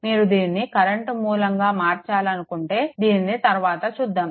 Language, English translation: Telugu, If you want to convert it to current source, later we will see